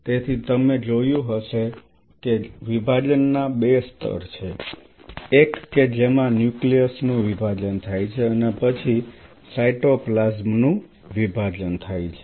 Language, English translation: Gujarati, So, you must have seen that there are two level of divisions which takes place one is the nucleus divide and then the cytoplasm divides